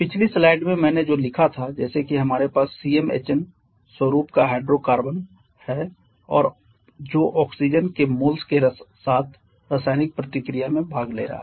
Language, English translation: Hindi, We have an hydrocarbon of the form Cm Hn and that is participating in a chemical reaction with a moles of oxygen